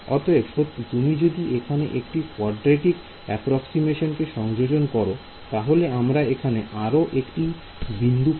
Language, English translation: Bengali, Exactly so, if I want you to introduce a quadratic approximation to this then I would need one more node over here